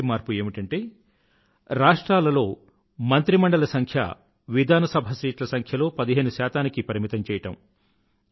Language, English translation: Telugu, First one is that the size of the cabinet in states was restricted to 15% of the total seats in the state Assembly